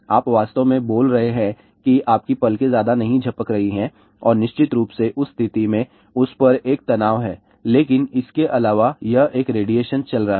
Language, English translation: Hindi, You are actually speaking your lips are not moving blinking much and in that case of course, there is a stress on that , but besides that there is a this radiation going on